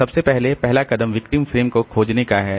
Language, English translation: Hindi, So, so at first the first step is to find the victim frame